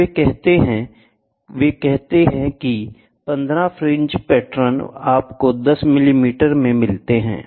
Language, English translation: Hindi, So, what they say they say 15 fringe patterns, you get in the 10 millimeter, right